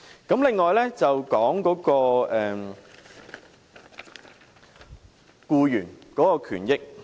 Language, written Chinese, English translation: Cantonese, 此外，我想談談僱員權益。, In addition I would like to talk about employees rights